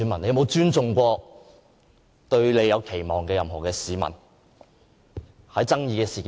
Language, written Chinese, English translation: Cantonese, 他有否給予對他有期望的市民任何尊重？, Has he ever shown respect for those who have expectation of him?